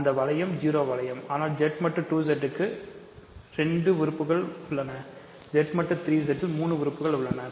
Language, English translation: Tamil, So, that is the ring 0 ring, but Z mod 2 Z has 2 elements Z mod 3 Z has 3 elements and so on